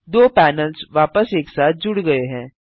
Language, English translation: Hindi, The two panels are merged back together